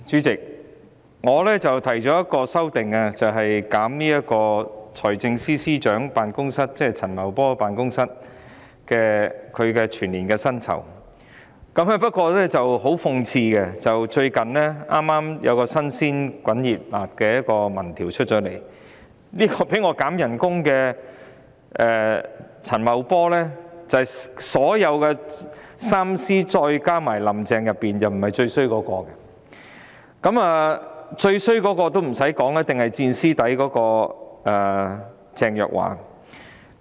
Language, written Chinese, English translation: Cantonese, 主席，我提出了一項修正案，以削減財政司司長，即陳茂波的全年薪金預算開支，但很諷刺的是，最近發表的一項民調顯示，被我減薪的陳茂波在3位司長加"林鄭"當中並非最差一人，最差的一定是"墊司底"的鄭若驊。, Chairman I have proposed one amendment to reduce the estimated expenditure on the annual salary of the Financial Secretary Paul CHAN . However it is ironic that in the opinion survey released recently Paul CHAN whom I call for salary reduction did not get the lowest rating among the three Secretaries and Carrie LAM . The one who was at the rock bottom must be Teresa CHENG